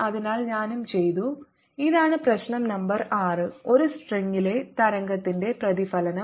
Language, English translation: Malayalam, so i had also done this is problem number six: reflection of wave on a string